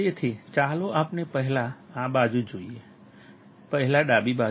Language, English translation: Gujarati, So, let us just see this side first; , left side first